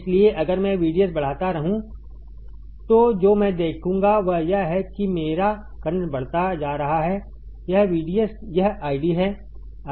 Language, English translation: Hindi, So, if I keep on increasing VDS what I will see is that, my current keeps on increasing this is VDS this is I D